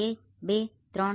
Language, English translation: Gujarati, One, two, three